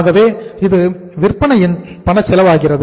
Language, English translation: Tamil, So this becomes the cash cost of sales